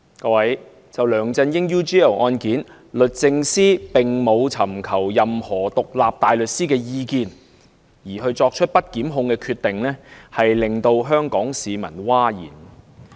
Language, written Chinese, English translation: Cantonese, 各位，就梁振英 UGL 案件，律政司並沒有尋求任何獨立大律師的意見，便作出不檢控的決定，令香港市民譁然。, Fellow colleagues the public are outraged at the Department of Justices non - prosecution decision with regard to LEUNG Chun - yings UGL case made without seeking legal advice from any independent barrister